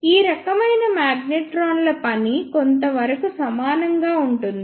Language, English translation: Telugu, The working of all of these type of magnetrons is somewhat similar